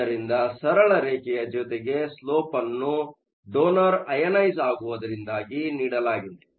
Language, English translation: Kannada, So, you have a straight line with the slope that is given by your donor ionization